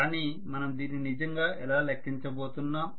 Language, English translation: Telugu, But how are we really going to quantify it